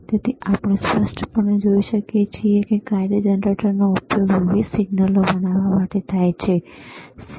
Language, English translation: Gujarati, So, we can see clearly, function generator is used to create several different signals, all right